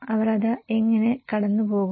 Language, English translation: Malayalam, How do they pass it